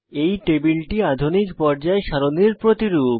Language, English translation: Bengali, This table is a replica of Modern Periodic table